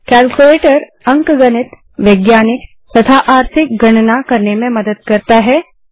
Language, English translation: Hindi, Calculator helps perform arithmetic, scientific or financial calculations